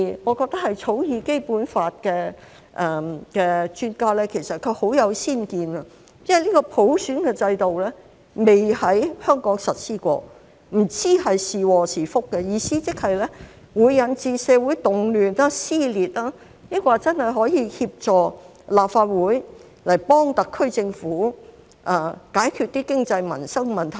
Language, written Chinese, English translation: Cantonese, 我覺得草擬《基本法》的專家很有先見，因為普選制度不曾在香港實施，不知是禍是福，意思即是會引致社會動亂、撕裂，抑或真的可以協助立法會幫特區政府解決經濟民生問題呢？, Universal suffrage has never been implemented in Hong Kong . We do not know whether it is a curse or a blessing . Will it lead to social unrest and riots or can it really help the Legislative Council assist the SAR Government in solving economic and livelihood problems?